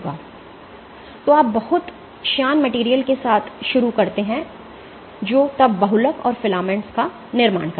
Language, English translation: Hindi, So, you start off with the very viscous material, which then polymerizes and forms filaments